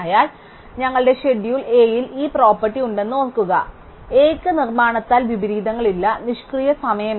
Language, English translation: Malayalam, Now, recall that our schedule A has this property; A has no inversions by construction and no idle time